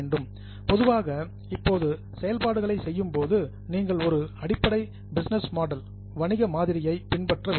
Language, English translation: Tamil, Now, while doing the operations, normally you follow a basic business model